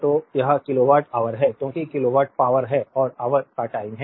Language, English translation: Hindi, So, that is kilowatt hour, because kilowatt is the power and hour is the time